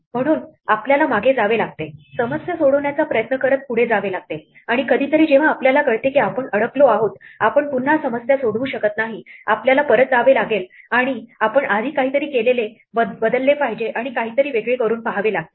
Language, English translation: Marathi, So, we have to backtrack, we have to go forwards trying to solve the problem; and at some point when we realize that we are stuck we cannot solve the problem again, we have to go back and change something we have done before and try something else